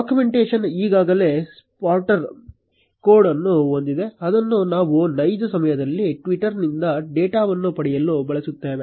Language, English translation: Kannada, The documentation already has a starter code, which we will use to get data from twitter in real time